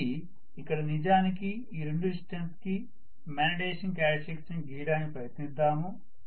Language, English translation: Telugu, So if I try to actually draw, again the magnetization characteristics for these two distances